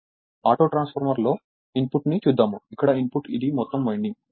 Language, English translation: Telugu, For autotransformerinput I have to see the input; input here this is the whole winding